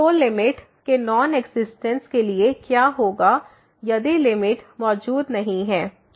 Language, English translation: Hindi, So, what will happen for the Non Existence of a Limit if the limit does not exist for